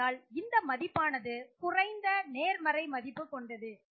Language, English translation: Tamil, So the value is less positive